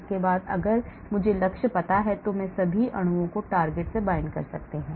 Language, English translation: Hindi, after that if I know the target then I will bind all the molecules to the target